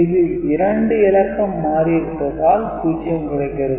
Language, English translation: Tamil, Since 2 bits have been flipped, so it will be giving you 0